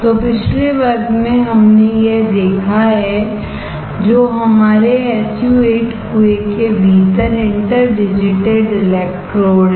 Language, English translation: Hindi, So, last class we have seen this which is our interdigitated electrodes within an SU 8 well